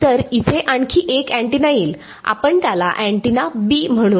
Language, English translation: Marathi, So, another antenna comes in over here we will call it antenna B ok